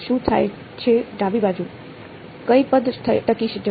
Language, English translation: Gujarati, What happens is the left hand side, which term will survive